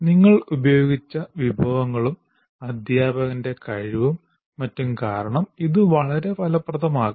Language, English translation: Malayalam, And it can be very effective because of the resources that you have used and the competence of the teacher and so on